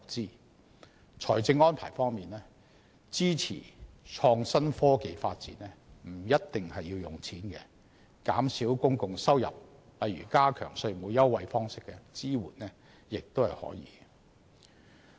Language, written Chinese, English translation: Cantonese, 在財政安排方面，支持創科發展不一定要用錢，減少公共收入如以加強稅務優惠的方式提供支援亦可。, When making financial arrangements it does not necessarily require money to support innovation and technology development . Support may also be given by way of reducing public revenue such as enhancing tax concessions